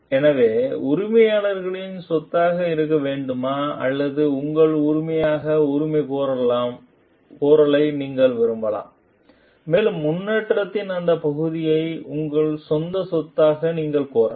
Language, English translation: Tamil, So, should that remain as the employers property, or you can like claim as that as your ownership and you can claim that part of the improvement as your own property